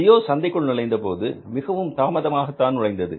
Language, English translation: Tamil, Gio came very late in the market, they entered in the market very late